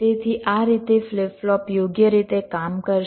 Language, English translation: Gujarati, so so in this way the flip flop will go on working right